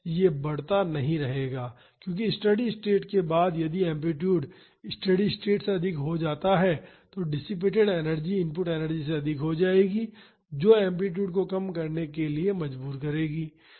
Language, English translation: Hindi, It would not keep on increasing, because after the steady state, if the amplitude becomes more than the steady state, the dissipated energy will be more than the input energy, that will force the amplitude to reduce